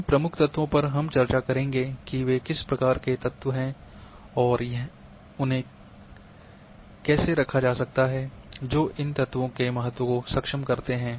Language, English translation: Hindi, These key elements we will be discussing they are in what kind of elements are and how they can be placed what is what are the importance of these elements enable